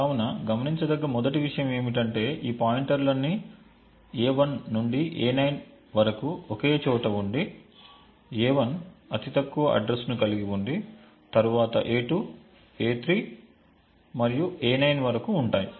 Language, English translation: Telugu, So, the first thing to notice is that all of these pointers a1 to a9 are contiguous with a1 having the lowest address followed by a2, a3 and so on till a9